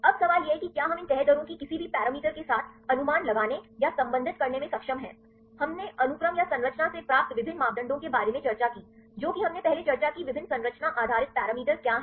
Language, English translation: Hindi, Now, the question is whether we are able to predict or relate these folding rates with any of the parameters right we discussed about various parameters obtained from sequence or structure what are the various structure based parameters we discussed earlier